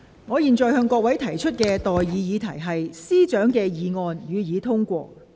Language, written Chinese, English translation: Cantonese, 我現在向各位提出的待議議題是：律政司司長動議的議案，予以通過。, I now propose the question to you and that is That the motion moved by the Secretary for Justice be passed